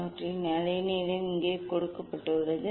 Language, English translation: Tamil, their wavelength is given here